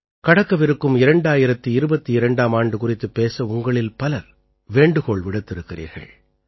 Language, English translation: Tamil, In the messages sent by you, you have also urged to speak about the departing 2022